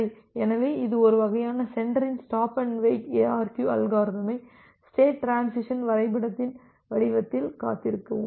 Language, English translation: Tamil, Well, so this is a kind of sender side implementation of this stop and wait ARQ algorithm in the form of a state transition diagram